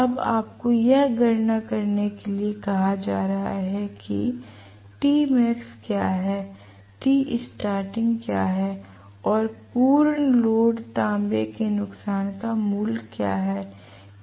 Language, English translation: Hindi, Now you are being asked to calculate what is t max what is t starting and what is the value of full load copper loss